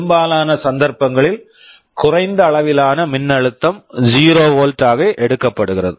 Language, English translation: Tamil, For most cases the low level of voltage is taken to be 0 volt